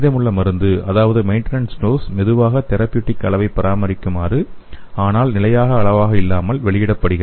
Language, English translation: Tamil, The remaining drug that is the maintenance dose will be released slowly and thereby achieving a therapeutic level which is prolonged and but not maintained at constant level